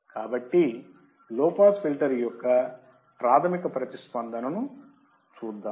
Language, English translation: Telugu, So, let us see basic filter response for the low pass filter